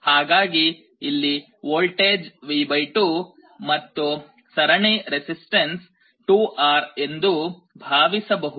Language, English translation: Kannada, So, you assume that there is a voltage V / 2 with a resistance 2R in series